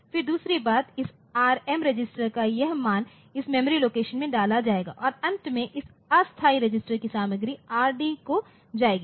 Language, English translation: Hindi, Then secondly, this value of this Rm register will be put into this memory location and finally, content of this temporary register will go to Rd